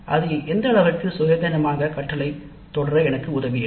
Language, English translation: Tamil, So to what extent it helped me in pursuing independent learning